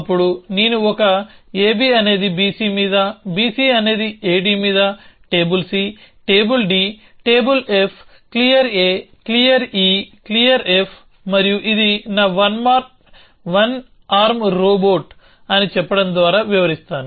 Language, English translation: Telugu, Then I will describe it by saying that on a b, on b c, on a d, on table c, on table d, on table f, clear a, clear e, clear f and this is my one arm Robot